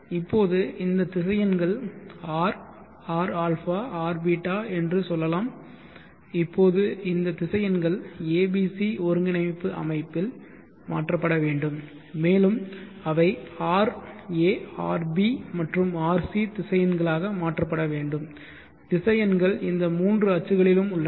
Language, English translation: Tamil, Now let us say this vectors a Ra Rbeeta, now these vectors have to be transformed in the a b c coordinate system and they have to be converted in to Ra Rb and Rc vectors, vectors are along these three axes, so how do you shift R a Rbeeta to Ra Rb Rc